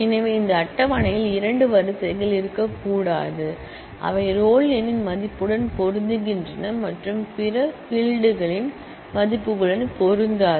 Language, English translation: Tamil, So, there cannot be two rows in this table, which match in the value of the roll number and does not match in the values of the other fields